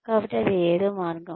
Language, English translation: Telugu, So, that is one more way